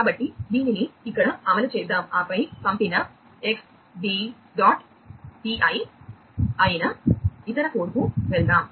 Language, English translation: Telugu, And so, let us execute this one over here, and thereafter let us go to the other code which is the sender x b dot pi